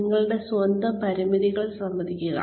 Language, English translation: Malayalam, Recognize your own limitations